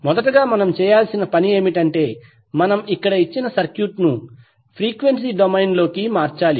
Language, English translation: Telugu, So the first task, what we have to do is that we have to convert this particular circuit into frequency domain